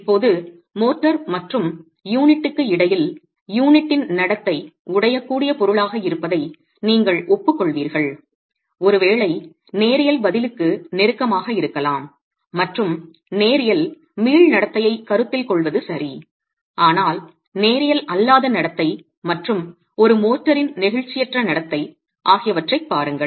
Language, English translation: Tamil, Now between the motor and the unit you will agree that the behavior of the unit is being the brittle material probably closer to a linear response and it is okay to consider a linear elastic behavior there but look at a nonlinear behavior and inelastic behavior of the motor itself